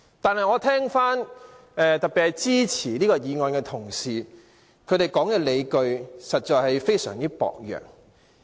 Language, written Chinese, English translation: Cantonese, 但是，我聽到特別是支持這項議案的同事所說的理據實在非常薄弱。, Nevertheless the justifications delivered by Members supporting this motion are far too weak